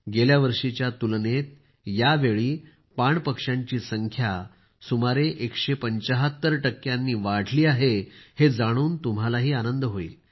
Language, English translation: Marathi, You will also be delighted to know that this time the number of water birds has increased by about one hundred seventy five 175% percent compared to last year